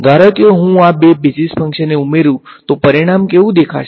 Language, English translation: Gujarati, Supposing I add these two basis functions what will the result look like